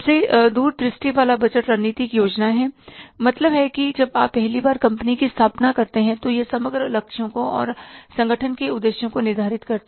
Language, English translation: Hindi, The most forward looking budget is the strategic plan which sets the overall goals and objectives of the organization